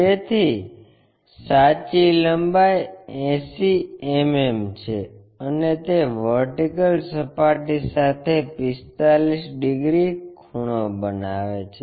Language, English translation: Gujarati, So, true length is 80 mm and it makes 45 degrees inclination with the vertical plane